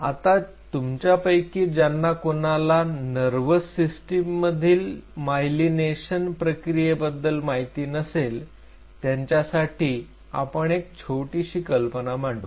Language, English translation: Marathi, So, those of you who are not aware of the myelination process in the nervous system just to give you a brief idea